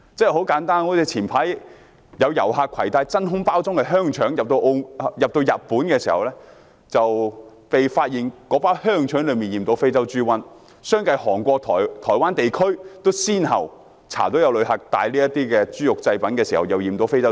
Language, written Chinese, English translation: Cantonese, 很簡單，早前有遊客攜帶真空包裝的香腸入境日本，那包香腸被發現染有非洲豬瘟，而韓國、台灣地區都相繼先後查到有旅客攜帶染有非洲豬瘟的豬肉製品。, Some time ago a tourist brought some vacuum packed sausages into Japan and African swine fever virus was found in that pack of sausages . Later Korea and Taiwan also found African swine fever virus in the pork products brought in by tourists